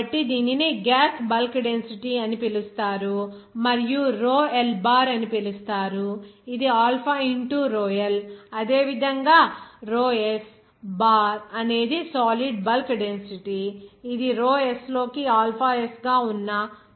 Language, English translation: Telugu, So it is called gas bulk density and rho L bar it is similarly alpha into rho L, similarly rho S bar it is the solid bulk density to be as what is that alpha S into Rho S